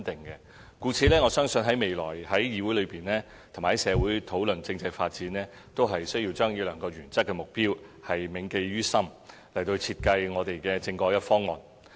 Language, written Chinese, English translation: Cantonese, 故此，我相信未來在議會和在社會上討論政制發展時，均需要將這兩個原則性的目標銘記於心，設計我們的政改方案。, As such when we discuss the constitutional development in this Council and in the society to shape our proposal on constitutional reform we must bear in mind these two guiding objectives